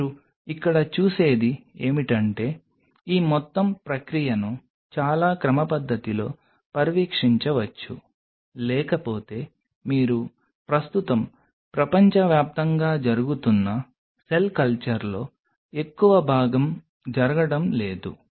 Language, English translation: Telugu, What you see here is one can monitor this whole process in a very systematic way, which otherwise if you look at most of the cell culture were currently happening across the world are not being done